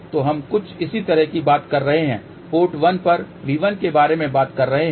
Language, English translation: Hindi, So, which is something similar to we are talked about V 1 for port 1